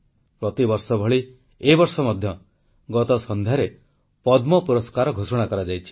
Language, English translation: Odia, Like every year, last evening Padma awards were announced